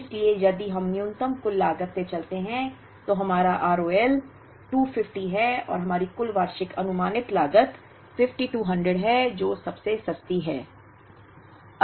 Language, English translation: Hindi, So, if we go by minimum total cost our R O L is 250 and our total annual expected cost is 5200, which is the cheapest